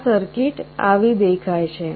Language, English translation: Gujarati, The circuit looks like this